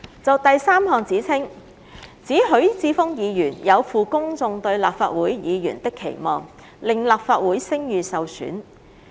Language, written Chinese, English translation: Cantonese, 就第三項指稱，指許智峯議員有負公眾對立法會議員的期望，令立法會聲譽受損。, The third allegation is that Mr HUI Chi - fung failed to fulfil the publics expectation of a Legislative Council Member and tarnished the Legislative Councils reputation